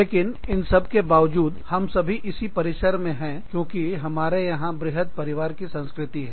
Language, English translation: Hindi, But still, but despite all this, we are all sitting in this campus, because of this big family culture, that we have, here